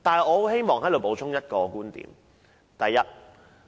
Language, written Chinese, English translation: Cantonese, 我希望補充一個觀點。, I would like to add one viewpoint